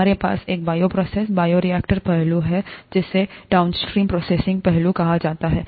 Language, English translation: Hindi, We have, for a bioprocess, the bioreactor aspect, and, what is called the downstream processing aspect